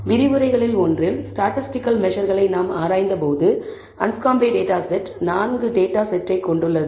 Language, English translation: Tamil, We have seen this before in the when we analyzed statistical measures in one of the lectures, the Anscombe data set is consists of 4 data sets